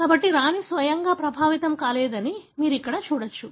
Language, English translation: Telugu, So, you can see here that the Queen herself was not affected